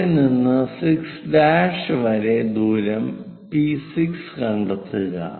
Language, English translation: Malayalam, From there to 6 prime, locate a distance P6